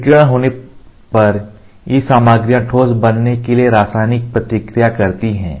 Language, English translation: Hindi, Upon irradiation, these materials undergo a chemical reaction to become a solid